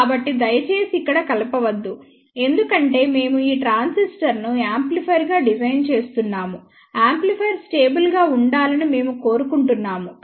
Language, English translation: Telugu, So, please do not mix up here, since we are designing this transistor as an amplifier we want amplifier to be stable